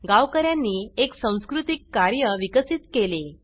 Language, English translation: Marathi, Villagers developed a work culture